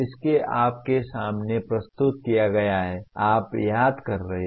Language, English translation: Hindi, It is presented to you earlier, you are remembering